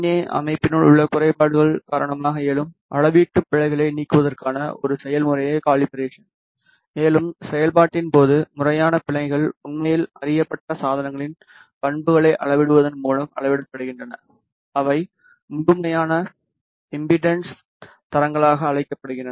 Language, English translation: Tamil, Calibration is a process to remove the measurement errors arising due to the imperfections within the VNA system which are called as systematic errors, and during the process the systematic errors are actually quantified by measuring characteristics of known devices which are called as absolute impedance standards